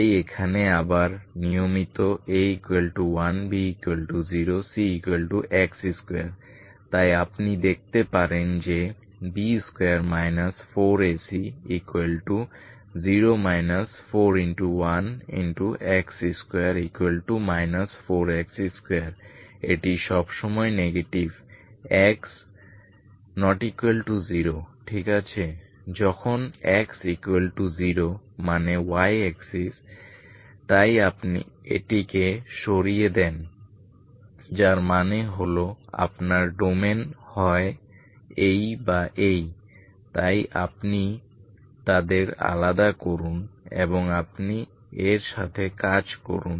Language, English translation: Bengali, So here again routinely A is 1, B is 0, C is X square so you see that B square minus 4 A C is B 0 minus 4 X square this is always negative ok for every X positive X non zero for every X non zero when X is non zero so the domain is, when X equal to zero means Y axis so this you remove so that means your domain is either this or this one, so you separate them and you work with this, these each of this domains what you get is your equation in these domains ok canonical form in these domains with the same variables